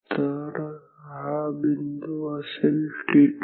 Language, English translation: Marathi, So, this point will be t 2